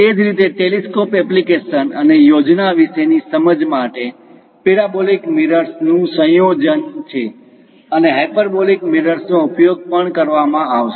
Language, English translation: Gujarati, Similarly, for telescopic applications and understanding about plan is a combination of parabolic mirrors and also hyperbolic mirrors will be used